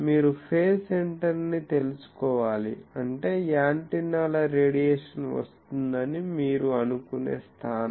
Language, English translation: Telugu, So, that is why you need to know the phase center; that means the point from where you can think that antennas radiation is coming